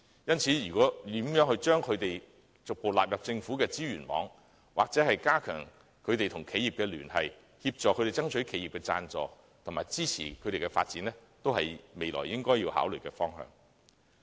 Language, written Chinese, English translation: Cantonese, 因此，如何將這些項目逐步納入政府的支援網，或加強有關團體與企業的聯繫，協助他們爭取企業的贊助和支持其發展，均是未來應該要考慮的方向。, As such exploring ways to gradually include these sports in the Governments assistance net or strengthen their ties with relevant bodies and enterprises to help them campaign for sponsorship and support from enterprises for their development should be the directions for future consideration